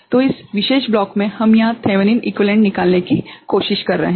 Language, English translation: Hindi, So, this particular block over here we are trying to find the Thevenin equivalent ok